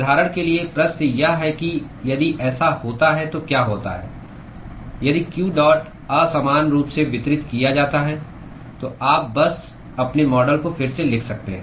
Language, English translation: Hindi, For example, the question is what happens if it is if q dot is unevenly distributed: so, you could simply rewrite your model